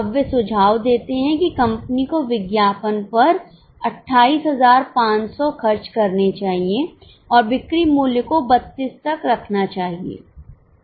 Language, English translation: Hindi, Now they suggest that company should spend 28,500 on advertising and put the sale price up to 32